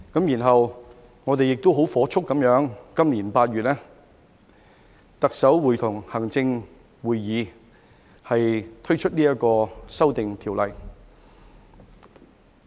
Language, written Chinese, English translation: Cantonese, 然後，我們亦火速在今年8月，特首會同行政會議推出《2021年國旗及國徽條例草案》。, And expeditiously in August 2021 the Chief Executive in Council proposed the National Flag and National Emblem Amendment Bill 2021 the Bill . Today is 29 September